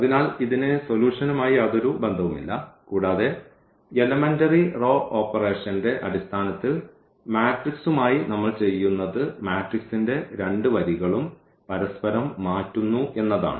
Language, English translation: Malayalam, So, it has nothing to do with the solution and that exactly in terms of the element row operations we will be doing with the matrix that we can change we can interchange any two rows of the matrix